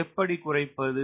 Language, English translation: Tamil, how do i reduce k